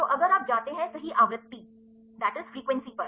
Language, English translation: Hindi, So, within if you go to the frequency right